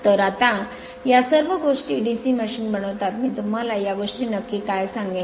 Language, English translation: Marathi, So, all these here now construction of DC machine just I will tell you what exactly this things